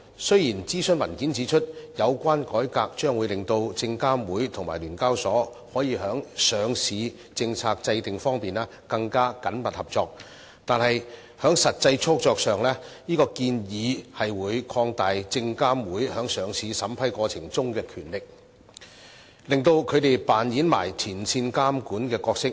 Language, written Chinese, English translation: Cantonese, 雖然諮詢文件指出，有關改革將會令證監會和聯交所在上市政策制訂方面更緊密合作，但在實際操作上，這建議會擴大證監會在上市審批過程中的權力，令他們扮演前線監管的角色。, Although it is pointed out in the consultation paper that the reform can help achieve closer cooperation between SFC and SEHK on listing policy formulation in actual practice the proposal will increase the power of SFC in vetting and approving listing applications thus enabling it to play the role of a frontline regulator